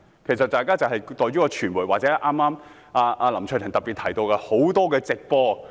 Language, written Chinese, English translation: Cantonese, 其實在於傳媒，或林卓廷議員剛才提到的很多直播報道。, It was the media or the many live broadcasts mentioned earlier by Mr LAM Cheuk - ting